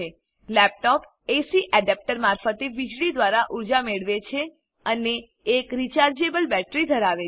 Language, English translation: Gujarati, A laptop is powered by electricity via an AC adapter and has a rechargeable battery